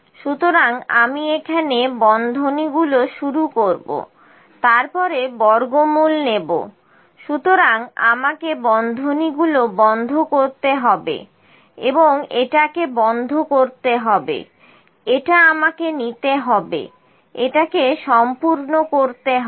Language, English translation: Bengali, So, I will start the braces here, then take square root of so I have to close this is and close this is I have to take it should be complete